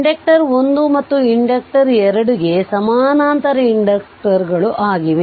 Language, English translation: Kannada, Same for inductor1 and inductor 2 the parallel inductors 2 are there right